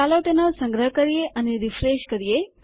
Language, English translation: Gujarati, Lets save that and well refresh